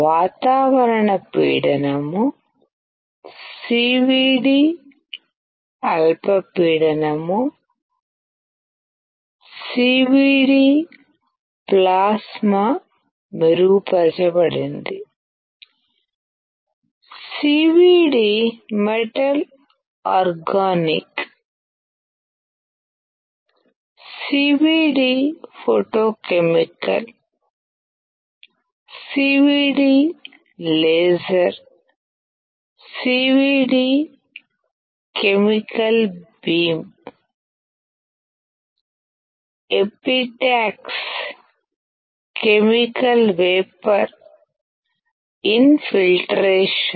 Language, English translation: Telugu, Atmospheric pressure; CVD low pressure; CVD plasma enhanced; CVD metal organic; CVD photochemical; CVD laser; CVD chemical beam; epitaxy chemical vapor infiltration